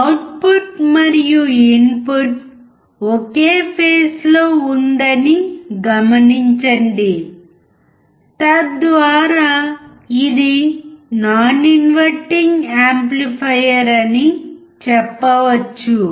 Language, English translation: Telugu, Also note that the output is in phase with the input, which shows that this is a non inverting amplifier